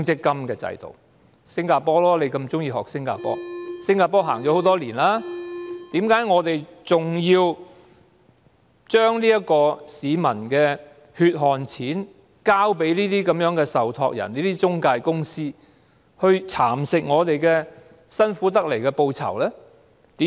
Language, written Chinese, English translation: Cantonese, 既然新加坡已實行了很多年，為何我們還要將市民的血汗錢交給那些受託人、中介公司，讓他們蠶食我們辛苦賺來的報酬呢？, Since Singapore has practiced this system for many years why must we still hand over our hard - earned money to the trustees and intermediaries for them to nibble away our hard - earned rewards?